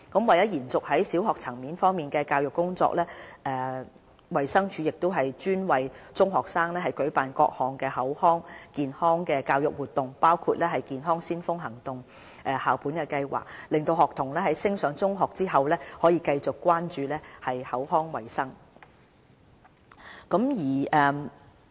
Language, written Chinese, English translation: Cantonese, 為延續在小學層面的教育工作，衞生署亦專為中學生舉辦各項口腔健康教育活動，包括"健腔先鋒行動"校本計劃，讓學童在升上中學後繼續關注口腔衞生。, To sustain the efforts made in primary schools DH has also organized various oral health education activities including a school - based programme named Teens Teeth for secondary students to remind them of the need to take care of oral hygiene after moving on to secondary school